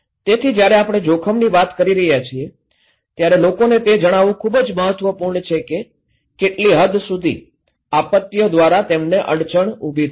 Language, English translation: Gujarati, So, when we are communicating risk, it is very important to tell people what extent, how extent they will be hampered by disasters okay